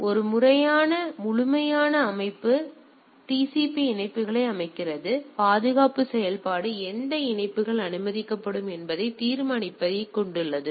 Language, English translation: Tamil, So, stand alone system set up 2 TCP connection; security function consists of determining which connections will be allowed